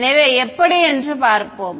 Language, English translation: Tamil, So, let us see how